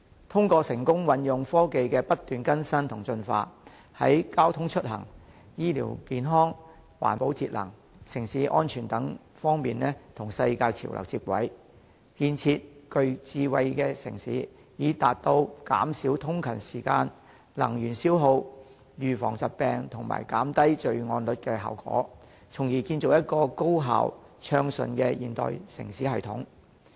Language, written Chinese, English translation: Cantonese, 通過成功運用日新月異的科技，香港能在交通出行、醫療健康、環保節能、城市安全等方面與世界潮流接軌，建設具智慧的城市，以達到減少通勤時間、能源消耗、預防疾病及減低罪案率的效果，從而建立一個高效、暢順的現代城市系統。, Through the successful application of ever - evolving technologies Hong Kong can align with international trends in such aspects as transport and commuting medical care and health environmental protection and energy conservation city safety etc and build a city of wisdom with a view to reducing commuting time and energy consumption preventing diseases and lowering crime rates thereby creating a highly efficient and smoothly operating modern city system